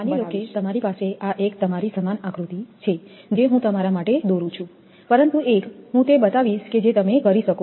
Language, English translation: Gujarati, Suppose you have a this one your same diagram I am drawing for you, but one I will show other one you can do it